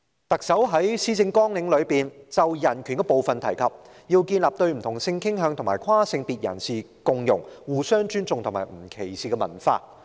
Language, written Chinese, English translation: Cantonese, 特首在施政綱領中有關人權的部分提及，要建立對不同性傾向及跨性別人士共融、互相尊重和不歧視的文化。, In the part about human rights in the Policy Address the Chief Executive mentions the desire to develop the culture and values of inclusiveness mutual respect and non - discrimination towards people with different sexual orientations and transgenders